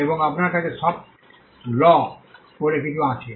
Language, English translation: Bengali, And you have something called the soft law